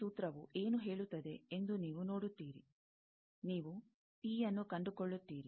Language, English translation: Kannada, You see that, what is this formula says that, you find out P